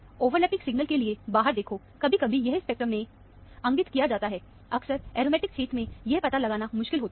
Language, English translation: Hindi, Watch out for overlapping signals; sometimes, this is indicated in the spectrum; often, this is difficult to figure this out, in the aromatic region